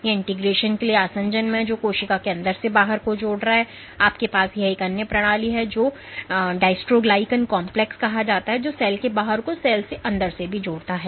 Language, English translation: Hindi, So, in adhesion to integrins which link the inside of the cell to the outside, you have this other system called the dystroglycan complex which also links the outside of the cell to the inside of the cell